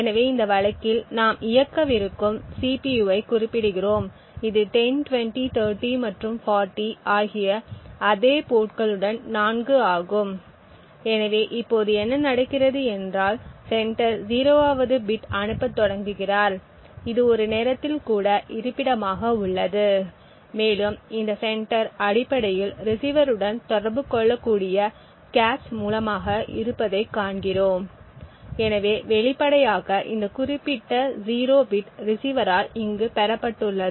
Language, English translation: Tamil, So we run the tasks set specify the CPU that we want to run in this case it is 4 with exactly the same agreed upon ports 10, 20, 30 and 40 so what is happening now is that the sender is beginning to send a 0th bit it is at a time even location and we see that this sender is essentially through the cache able to communicate to the receiver, so apparently this particular 0 bit has been received over here by the receiver